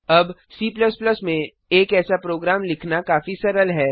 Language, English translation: Hindi, Now, writing a similar program in C++ is quite easy